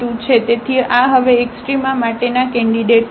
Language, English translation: Gujarati, So, these are the candidates now for the extrema